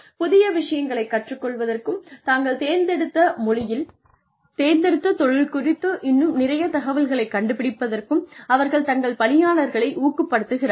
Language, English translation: Tamil, They encourage their employees, to go and learn new things, to go and find out, more about their chosen careers